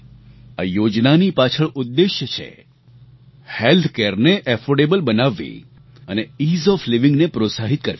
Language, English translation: Gujarati, The motive behind this scheme is making healthcare affordable and encouraging Ease of Living